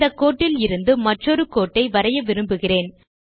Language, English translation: Tamil, Let me redraw the circle I want to put another line from this line